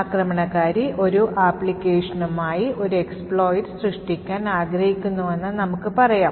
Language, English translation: Malayalam, So, the attackers plan is as follows, the attacker, let us say wants to create an exploit for a particular application